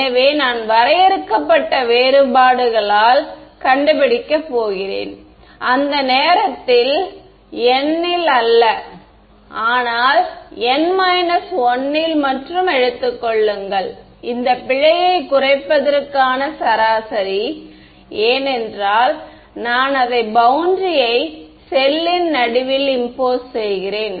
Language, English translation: Tamil, So, I am going to find out the finite difference not at the time instance n, but also n minus 1 and take the average to reduce this error because I am I am imposing it in the middle of the cell not at the boundary